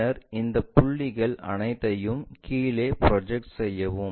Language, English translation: Tamil, Then, project all these points down